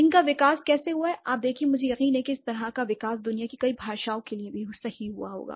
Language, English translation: Hindi, You see, I'm sure this kind of a development will also hold true for many of the world's languages